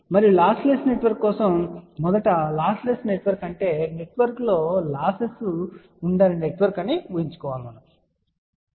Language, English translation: Telugu, And for lossless network just imagine first a lossless network will be a network where there will be no losses within the network